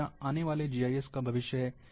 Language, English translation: Hindi, This is the future of GIS, which is coming